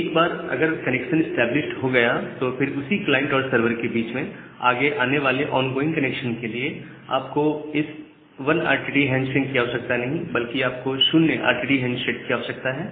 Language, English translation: Hindi, Now, once this connection has been established, then for the next ongoing connections between the same set of client server, you do not require this 1 RTT handshake rather you require a 0 RTT handshake